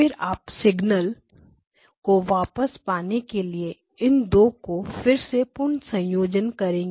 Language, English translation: Hindi, And then you recombine these 2 to get back the single signal